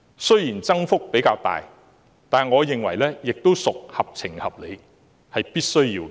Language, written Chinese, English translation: Cantonese, 雖然增幅較大，但我認為亦屬合情合理，是必須要的。, I find the relatively substantial increase reasonable and necessary